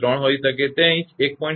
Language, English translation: Gujarati, 3; it may be 1